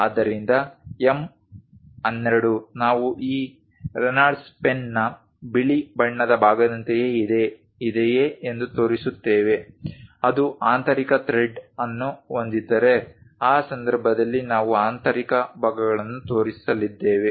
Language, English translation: Kannada, So, M 12 we will show if it is something like the white color portion of that Reynolds pen, which is having internal thread then in that case internal portions we are going to show it